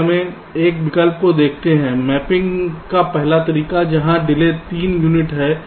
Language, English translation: Hindi, lets look at ah, this alternative, the first way of mapping, where delay is three units